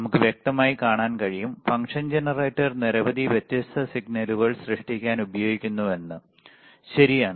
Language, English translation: Malayalam, So, we can see clearly, function generator is used to create several different signals, all right